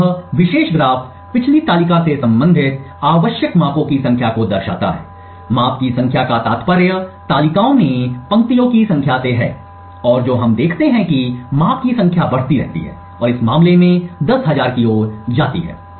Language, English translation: Hindi, So this particular graph shows the number of measurements required relating to the previous table, the number of measurements implies the number of rows in the tables and what we see is that as the number of measurements keeps increasing and goes towards 10000 in this case the accuracy of identifying the secret key is increased